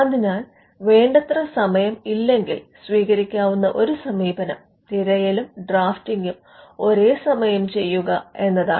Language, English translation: Malayalam, So, one approach even, if there is insufficient time is to do both the search and the drafting simultaneously